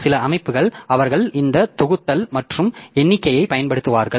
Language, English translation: Tamil, Some systems they will be using this grouping and counting